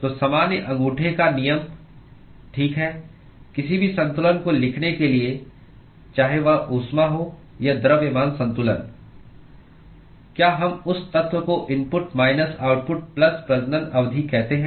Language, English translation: Hindi, So the general thumb rule, okay , for writing any balance whether it is heat or mass balance, is that we say input to that element minus output plus generation term that should be equal to the amount that is accumulated that will be accumulation